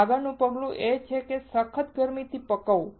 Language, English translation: Gujarati, The next step is to do hard bake